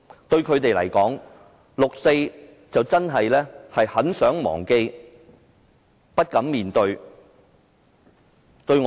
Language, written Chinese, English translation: Cantonese, 對他們來說，六四是很想忘記又不敢面對的事情。, To them the 4 June incident is something they eagerly want to forget but dare not forget